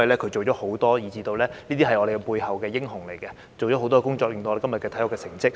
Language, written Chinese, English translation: Cantonese, 他做了很多工作，是背後的英雄，所以我們的體育才取得今天的成績。, He is the hero behind the scene paving way for the sports achievements today with his unfailing efforts